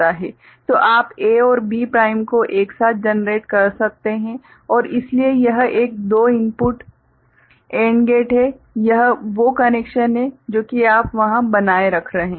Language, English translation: Hindi, So, you can generate A and B prime put together and so this is a two input AND gate, so that is the you know connections that you are retaining there